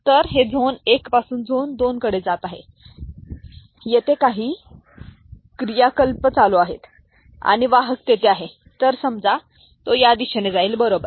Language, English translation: Marathi, So, it is moving from zone 1 to zone 2, for where some activities are taking place and the conveyer is goes is suppose to go in this direction, right